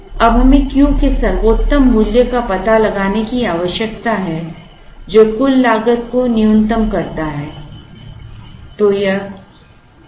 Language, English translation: Hindi, Now, we need to find out the best value of Q which minimizes the total cost